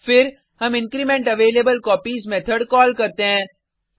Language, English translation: Hindi, Then, we call incrementAvailableCopies method